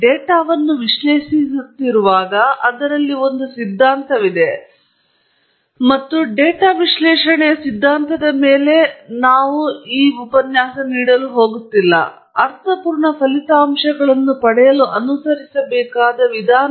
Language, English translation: Kannada, As much as we are analyzing data, there is a theory to it, and of course, we are not going go over the theory of data analysis, but the procedure that one needs to follow to get meaningful results